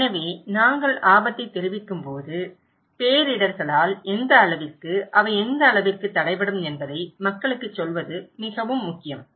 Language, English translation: Tamil, So, when we are communicating risk, it is very important to tell people what extent, how extent they will be hampered by disasters okay